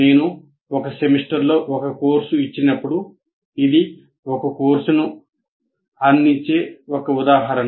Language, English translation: Telugu, When I offered a course, let's say in one semester, it is one instance of offering a course